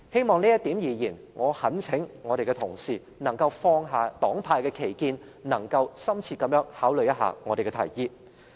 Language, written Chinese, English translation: Cantonese, 就這一點，我懇請同事放下黨派之間的歧見，深切考慮我們的提議。, In this connection I implore colleagues to put aside their partisan difference and give thorough consideration to our proposals